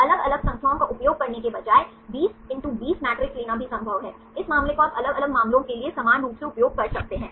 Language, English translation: Hindi, Instead of using different numbers, it is also possible to take 20×20 matrix, this case you can uniformly use this for different cases